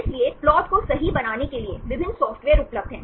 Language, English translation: Hindi, So, there are various software available to make a plot right